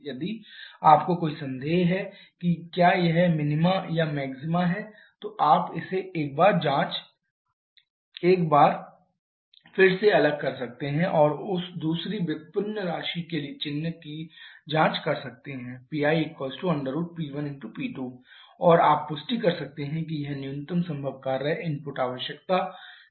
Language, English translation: Hindi, If you have any doubt whether this is minima or maxima you can differentiate it once more and check the sign of that second derivative putting P i equal to root over P 1 + P root over P 1 P 2 and you will be you can confirm that this is represent the minimum possible work input requirement